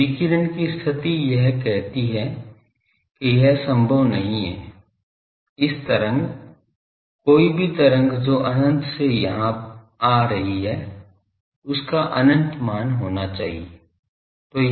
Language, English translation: Hindi, So, that radiation condition says that this is not possible, this wave any wave coming here at infinite it should have high infinite value